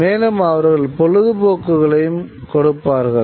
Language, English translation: Tamil, And moreover, and they would also carry entertainment